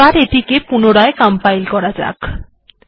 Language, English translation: Bengali, You can see it is compiling